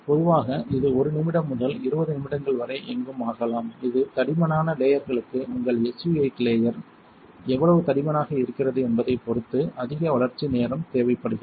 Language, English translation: Tamil, Typically, this can take anywhere from 1 minute to 20 minutes it really depends on how thick your SU 8 layer is for thicker layers more development time is needed